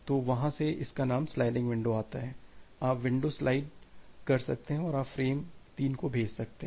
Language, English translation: Hindi, So, that from there the name sliding window comes, you can slide the window and you can send frame 3